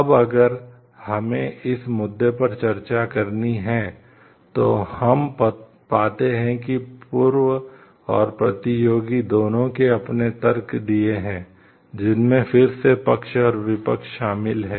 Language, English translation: Hindi, Now, if we have to discuss this case, then we find that both the first and the competitors have given their arguments, which are again pro which consists of pros and cons